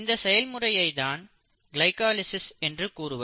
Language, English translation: Tamil, This is what you call as glycolysis